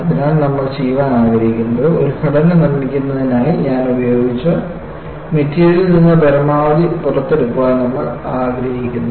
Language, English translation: Malayalam, So, what we want to do is, we want to take out as much as possible from the material that I have put in for making a structure